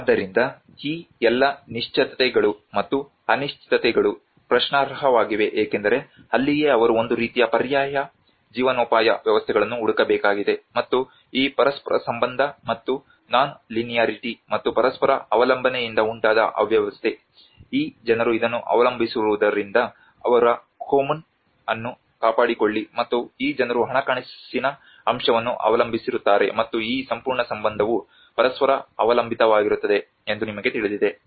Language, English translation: Kannada, So all these certainties and uncertainties are in question because that is where they have to look for kind of alternative livelihood systems and the chaos which has been created by this interrelationship and the non linearity and also the interdependence is because these people depend on this to maintain their Kommun and these people depend on the financial aspect and you know this whole relationship are very much interdependent with each other